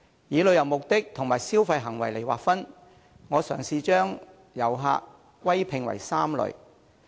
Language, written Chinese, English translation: Cantonese, 以旅遊目的和消費行為來劃分，我嘗試將遊客歸併為3類。, Here I try to classify tourists into three categories by travel purpose and consumer behaviour